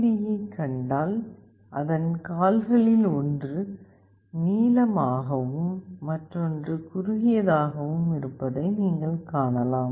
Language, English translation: Tamil, If you see this LED, you can make out that one of its legs is longer, and another is shorter